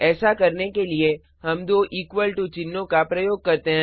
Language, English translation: Hindi, To do that, we use two equal to symbols